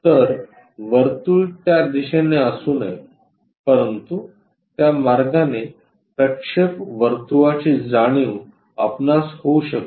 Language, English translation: Marathi, So, circle should not be there on that direction, but looks like a projection circle we might be going to sense it in that way